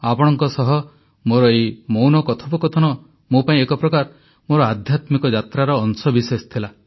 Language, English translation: Odia, For me, this nonvocal conversation with you was a part of my feelings during my spiritual journey